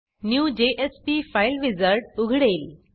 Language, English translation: Marathi, The New JSP File wizard opens